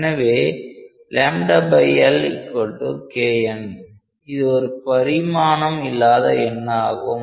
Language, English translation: Tamil, So, this is known as a non dimensional number